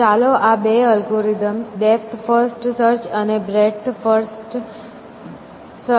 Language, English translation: Gujarati, So, let us do a comparison of these two algorithms, that depth first search and breadth first search